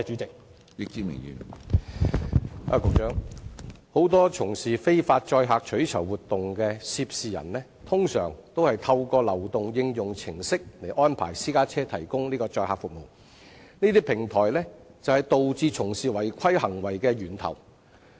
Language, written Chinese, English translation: Cantonese, 局長，很多從事非法載客取酬活動的涉事人，通常都是透過流動應用程式安排私家車提供載客服務，而這些平台正是導致有關違規行為的源頭。, Secretary many people engaging in illegal carriage of passengers for reward usually provide hire car services through mobile applications and these platforms are precisely the root of such illegal activities